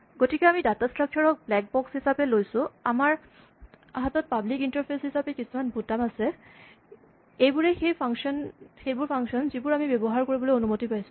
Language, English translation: Assamese, So, we have the data structure as a black box and we have certain buttons which are the public interface, these are the functions that we are allowed to use